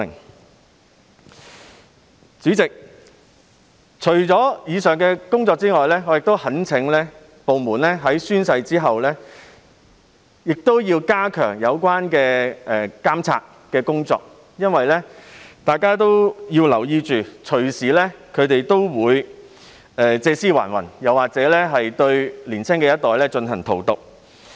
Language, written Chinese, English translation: Cantonese, 代理主席，除了上述工作外，我亦懇請有關部門在完成宣誓後加強監察，因為大家要留意，他們動輒會借屍還魂，又或是荼毒年輕一代。, Deputy President apart from the work mentioned above I also urge the relevant departments to step up supervision on completion of the oath - taking procedures because it is noteworthy that they may easily revive in a new guise or poison the younger generation